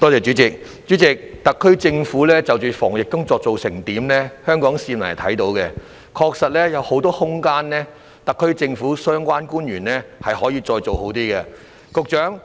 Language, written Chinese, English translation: Cantonese, 主席，特區政府在防疫工作方面的表現，香港市民是看得到的，特區政府的相關官員確實有很多空間可以做得更好。, President concerning the performance of the SAR Government in the prevention of the epidemic the people of Hong Kong have all seen it . There is indeed plenty of room for the SAR Government and the relevant officials to do better